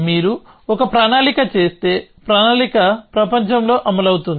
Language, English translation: Telugu, If you make a plan, the plan will execute in the world